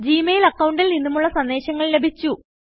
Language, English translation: Malayalam, We have received messages from the Gmail account